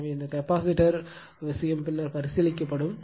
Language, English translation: Tamil, So, this capacitor thing will consider later